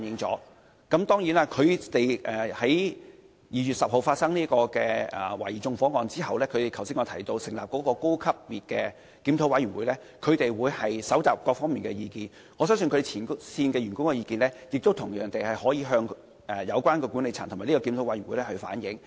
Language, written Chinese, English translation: Cantonese, 在2月10日發生涉嫌縱火案後，港鐵公司成立了我剛才曾提及的高層次檢討委員會，收集各方面的意見，我相信前線員工的意見同樣可向有關管理層和檢討委員會反映。, After the suspected arson case on 10 February MTRCL has set up a high - level review committee which I have mentioned just now to gather views from various parties . I trust that the views of frontline staff can also be brought forward to the management as well as the review committee